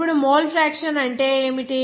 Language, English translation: Telugu, Now, what is the mole fraction